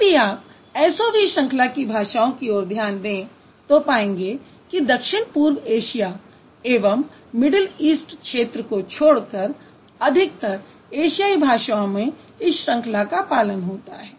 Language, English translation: Hindi, So, if you look at SOV, most of the Asian languages except Southeast Asia and Middle East, they follow SOV pattern